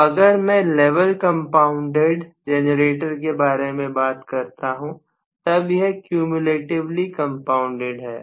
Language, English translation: Hindi, So, if I am talking about the level compounded generator, it is cumulatively compounded